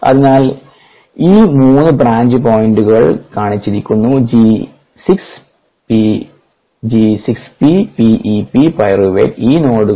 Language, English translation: Malayalam, so these three branch points are shown: g six, p, p e, p pyruvate, these three nodes